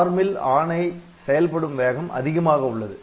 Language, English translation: Tamil, So, ARM will be running much faster